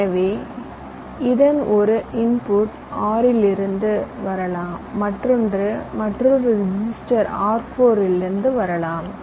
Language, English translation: Tamil, so one input of this can come from r three and the other one come come from another register, r four